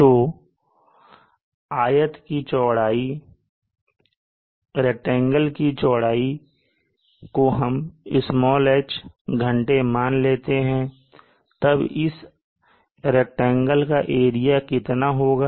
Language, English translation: Hindi, So this width of the rectangle is let us say H hours, then what is the area of this rectangle